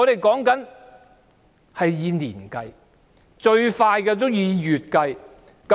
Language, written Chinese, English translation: Cantonese, 全是要以年計的，最快也要以月計。, We have to wait by years or by months the soonest